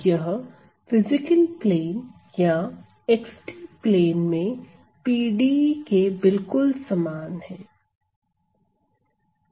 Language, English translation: Hindi, So, this is identically equal to the PDE in the physical plane or the x t plane